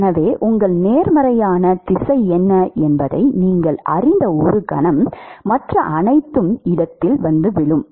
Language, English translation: Tamil, So, a moment you know what is your positive direction, everything else falls into place